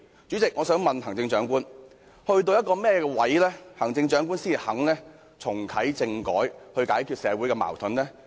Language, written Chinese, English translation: Cantonese, 主席，我想問行政長官，在甚麼情況下，行政長官才肯重啟政改，以解決社會的矛盾呢？, President can I ask the Chief Executive to tell us the conditions which will make her willing to reactivate constitutional reform and resolve our social conflicts?